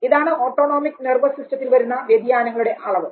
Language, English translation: Malayalam, So, these are level of changes in the activation of the autonomic nervous system